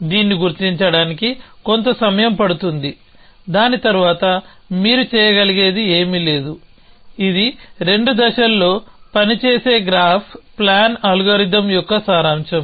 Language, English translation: Telugu, So, there is nothing more you can do after that it takes a bit of a time to figure this, so it is summarize a graph plan algorithm works in 2 stages